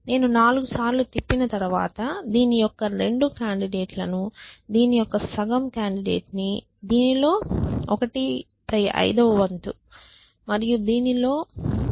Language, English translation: Telugu, So, after I spend 4 times I expect to see about 2 candidates of this about half candidate of this about one fifth of this and 1